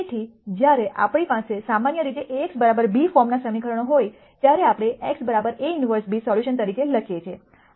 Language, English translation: Gujarati, So, when we typically have equations of the form a x equal to b, we write x equals A inverse b as a solution